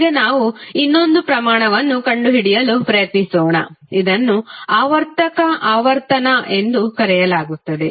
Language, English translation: Kannada, Now let's try to find out another quantity which is called cyclic frequency